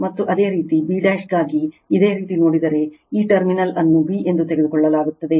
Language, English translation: Kannada, And similarly, for b dash if you look, this terminal is taken b